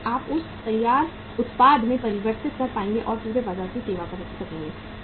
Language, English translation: Hindi, Only then we will be able to convert that into the finished product and to serve the entire market